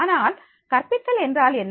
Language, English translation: Tamil, But what is the pedagogy